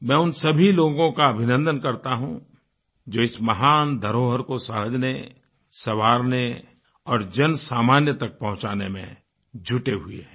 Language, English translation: Hindi, I congratulate all those actively involved in preserving & conserving this glorious heritage, helping it to reach out to the masses